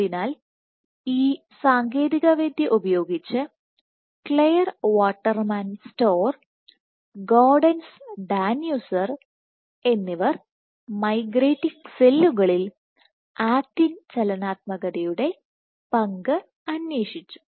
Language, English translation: Malayalam, So, using this technique, Clare Waterman Storer and Gaudenz Danuser they probed the role of acting dynamics in migrating cells